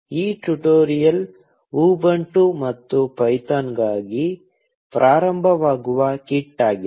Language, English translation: Kannada, This tutorial was just a getting started kit for Ubuntu and python